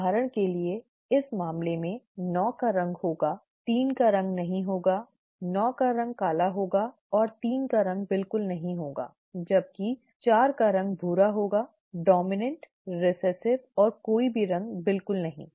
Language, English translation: Hindi, For example in this case, 9 would have the colour, 3 will not have the colour, 9 would 9 would be black, and 3 would not have the colour at all whereas 4 would be brown; the dominant, recessive and no colour at all, right